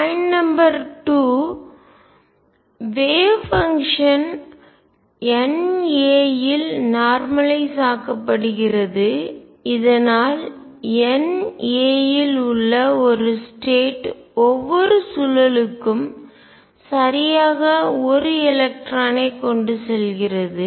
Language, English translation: Tamil, Point number 2 the wave function is also normalized over N a, so that a one state in N a carries exactly one electron for each spin